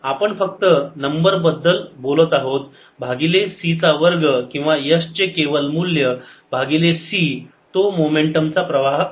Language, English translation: Marathi, we're just talking about the numbers divided by c square, or mod s over c